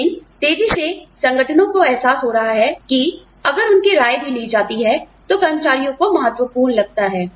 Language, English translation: Hindi, But, increasingly, organizations are realizing that, employees feel valued, if their opinions are also taken